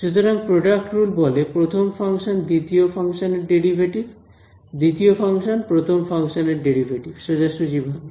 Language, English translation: Bengali, So, product rule says first function derivative a second function; second function, derivative of first function straightforward